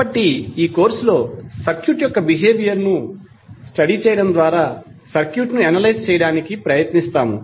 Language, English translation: Telugu, So, what we will study in this course; we will try to analyse the circuit by studying the behaviour of the circuit